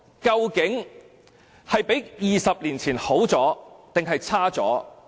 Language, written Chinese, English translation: Cantonese, 究竟香港比20年前更好還是更差？, Is Hong Kong better or worse than it was 20 years ago?